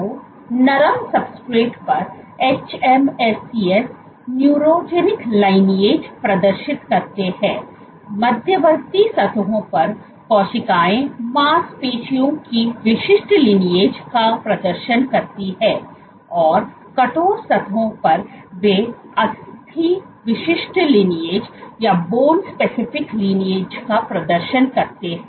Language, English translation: Hindi, So, on soft substrates the hMSCs exhibit neurogenic lineages; on intermediate surfaces the cells exhibit muscle specific lineages; and on stiff surfaces they exhibit bone specific lineages